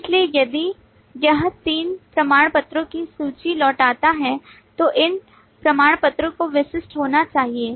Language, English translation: Hindi, so if it returns a list of three certificates, then these 3 certificates will have to be unique